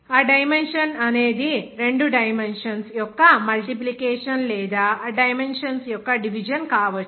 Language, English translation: Telugu, That dimension may be multiple of two dimensions or dividing of two dimensions